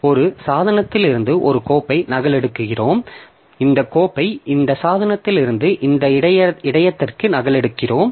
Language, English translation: Tamil, So, we are copying this file from this device into this buffer